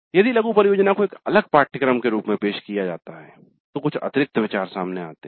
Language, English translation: Hindi, But if mini project is offered as a separate course, then some additional considerations come into the picture